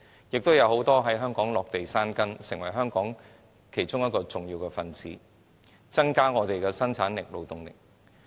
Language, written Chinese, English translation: Cantonese, 很多人在香港落地生根，成為香港重要的一分子，增加生產力和勞動力。, Many of these people settled in Hong Kong and have become an important part of Hong Kong enhancing our productivity and labour force